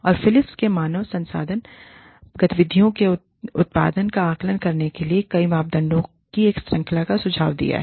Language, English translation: Hindi, And, Philips has suggested, a series of, or a number of parameters on which, to assess the output of human resources activities